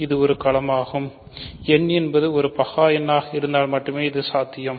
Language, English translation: Tamil, So, this is a field if and only if n is a prime number ok